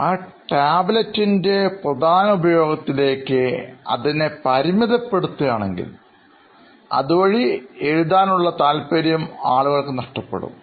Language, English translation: Malayalam, If you keep on restricting that tablet to its core functionality what it is meant to be so people will actually lose out that essence of writing on the tablet